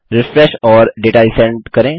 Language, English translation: Hindi, Refresh and Resend the data